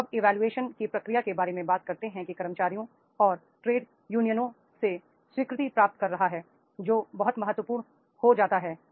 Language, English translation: Hindi, The process of job evaluation talks about that is gaining acceptance from the employees and the trade unions that becomes very, very important